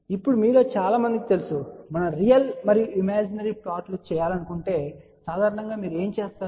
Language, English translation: Telugu, Now, most of you are familiar with let us say if we want to plot real and imaginary, generally what you do